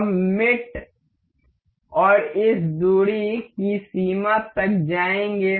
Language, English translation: Hindi, We will go to mate and this distance limit